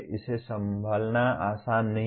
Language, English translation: Hindi, It is not easy to handle either